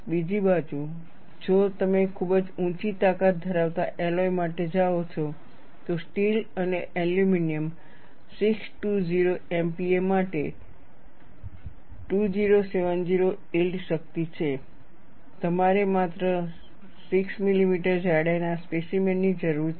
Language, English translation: Gujarati, On the other hand, if you go for a very high strength alloy, yield strength is 2070 for steel and aluminum 620 MPa; you need a specimen of a just 6 millimeter thickness